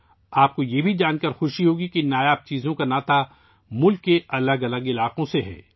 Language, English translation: Urdu, You will also be happy to know that these rare items are related to different regions of the country